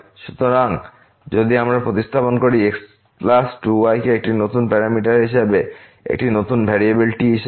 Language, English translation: Bengali, So, if we substitute plus 2 as a new parameter, as a new variable